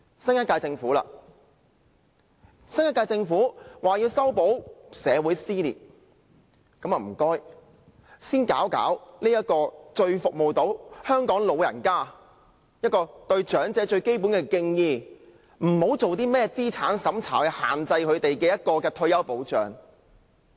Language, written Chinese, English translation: Cantonese, 新一屆政府說要修補社會撕裂，那麼請先處理這個最能服務香港長者的退休保障，向長者表示最基本的敬意，不要以甚麼資產審查來對他們施加限制。, The new - term Government stressed the need to mend the rift in society . Then please do something about retirement protection that can best serve the elderly in Hong Kong in order to pay the most basic tribute to the elderly instead of imposing restrictions on them by making them take a means test or whatever